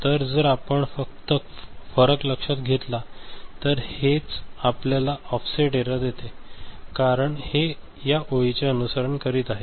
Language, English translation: Marathi, So, if you just note the difference, if you just note the difference ok, so this is what will give you the offset error right, because this is following this line right